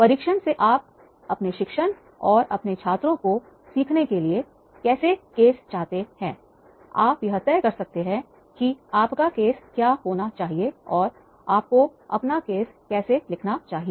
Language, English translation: Hindi, By examining how you want the case to support your teaching and your students learning, you are able to decide what your case should do and how you should write your case